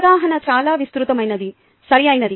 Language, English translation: Telugu, the understanding is rather broad, right